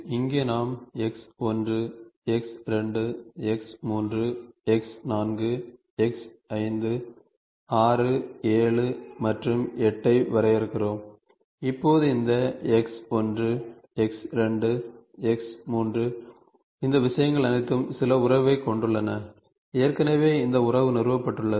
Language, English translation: Tamil, So, here in which we define X1, X2, X3, X4, X5, 6, 7 and 8 and now this X1, X2, X3, X3 all these things are having some relationship and already this relationship is established